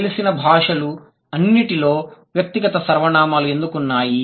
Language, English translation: Telugu, Why do all known languages have personal pronouns